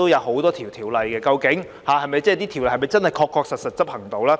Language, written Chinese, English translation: Cantonese, 很多條例都靠政府執行，究竟這些條例是否真的確確實實獲得執行呢？, As many ordinances rely on enforcement by the Government I just wonder if they have been effectively enforced